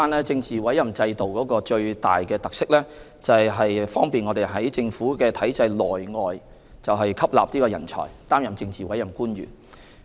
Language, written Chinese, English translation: Cantonese, 政治委任制度的最大特色是方便政府在政府體制內外吸納人才，擔任政治委任官員。, The most important feature of the Political Appointment System is that it facilitates the Government in engaging talents from inside and outside the government system to serve as politically appointed officials